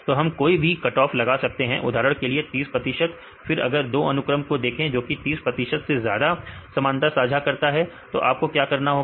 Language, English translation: Hindi, So, we can make any cut off for example, 30 percent then if you see with 2 sequences right which are sharing the identity of more than 30 percent what you have to do